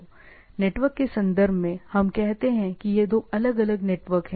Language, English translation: Hindi, So, I in networks terms, we say these are two different networks